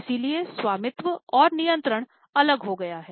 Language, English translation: Hindi, So, ownership and control is separated